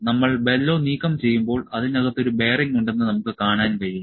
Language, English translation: Malayalam, So, may you removing the bellow from here, when we remove the bellow we can see there is a bearing inside